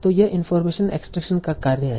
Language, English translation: Hindi, That is the task of information extraction